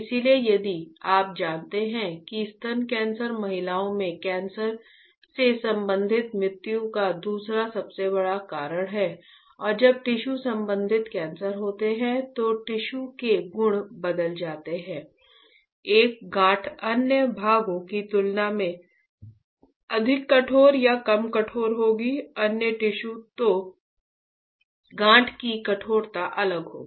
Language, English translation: Hindi, So, if you know that breast cancer is the second largest cause of cancer related death in women and when there is a tissue related cancer that the tissue properties are will change a lump would be more stiffer or less stiffer compared to other parts, other tissues